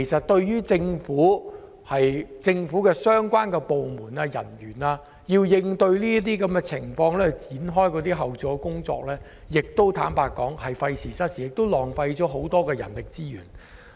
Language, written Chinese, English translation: Cantonese, 對於政府部門的人員而言，他們需要展開後續工作，同樣是費時失事，浪費很多人力資源。, Likewise it is also a waste of time and effort for officials of various government departments to proceed with the follow - up work resulting in serious wastage of manpower resources